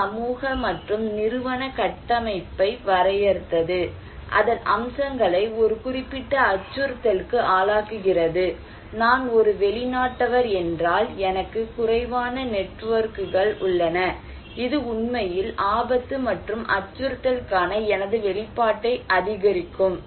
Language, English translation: Tamil, It also defined the social and institutional structure, features of that one that also bring individuals in a particular exposure of threat and like if I am an outcast, I have less networks, it actually increase my exposure to a hazard, to a threat, to a risk